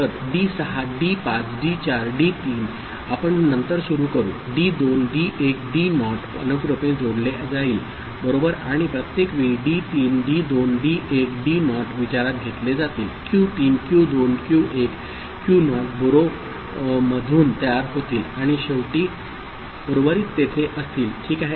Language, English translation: Marathi, So, D6 D5 D4 D3 we shall begin with then D2 D1 D naught will get appended sequentially right and every time d3 d2 d1 d naught will be in consideration q3 q2 q1 q naught will be generated through the borrow and finally, the remainder will be there ok